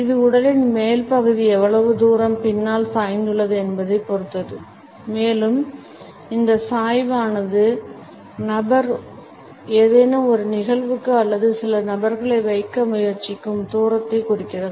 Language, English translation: Tamil, It depends on how far the upper part of the body is leaned back and this leaning back suggests the distance the person is trying to keep to some event or to some person